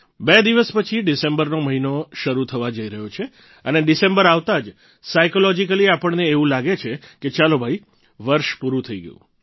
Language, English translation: Gujarati, Two days later, the month of December is commencing…and with the onset of December, we psychologically feel "O…the year has concluded